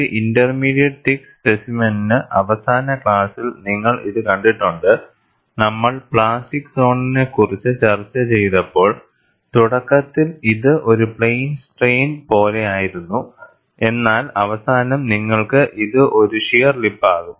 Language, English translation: Malayalam, You see, for an intermediate thickness specimen, you would also have seen it in the last class, when we discussed plastic zone, initially it is like a plane strain, and towards the end, you have a shear lip